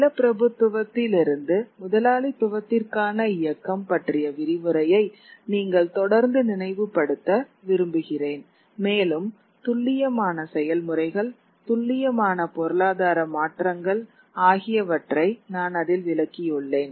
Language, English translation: Tamil, I would like you to refer back constantly to the lecture on the movement from feudalism to capitalism and where I had explained the precise processes, precise economic changes which brought about far reaching social and political changes